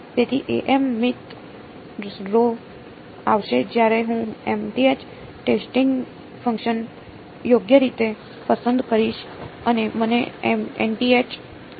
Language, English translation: Gujarati, So, A m n the mth row will come when I choose the mth testing function right and what will give me the nth column